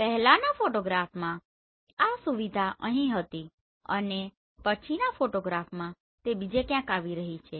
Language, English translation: Gujarati, In the previous photograph this feature was here in the next photography it is coming somewhere else right